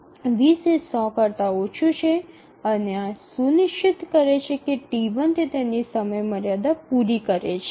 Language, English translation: Gujarati, So, 20 is less than 100 and this ensures that T1 would meet its deadline